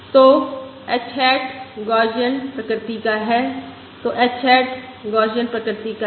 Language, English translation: Hindi, so h hat is Gaussian in nature